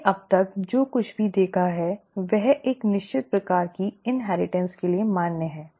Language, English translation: Hindi, Whatever we have seen so far is valid for a certain kind of inheritance